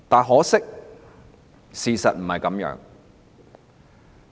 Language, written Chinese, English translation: Cantonese, 可惜，事實並非如此。, Regrettably this is not the case in actuality